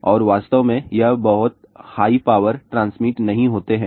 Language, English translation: Hindi, In fact, these do not transmit to very high power